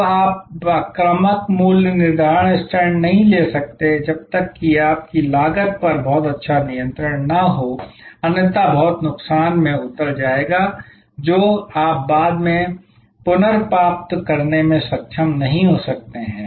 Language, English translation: Hindi, Now, you cannot taken aggressive pricing stands, unless you have a very good handle on your cost; otherwise, will land up into lot of loss which you may not be able to recover later